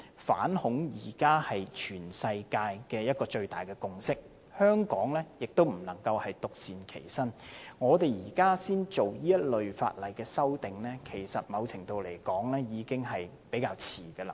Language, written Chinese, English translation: Cantonese, 反恐現在是全世界一個最大的共識，香港不能獨善其身，我們現在才進行這類法例修訂，某程度來說，已經是比較遲。, Anti - terrorism is the biggest consensus among the whole world and Hong Kong cannot just mind its own business . To a certain extent it may even be a bit late for us to amend this kind of laws now